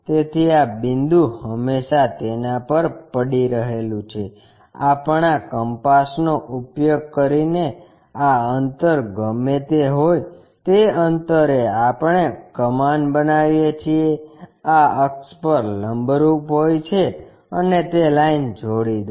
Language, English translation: Gujarati, So, this point always be resting on that; using our compass whatever this distance that distance we make an arch, perpendicular to this axis and join that line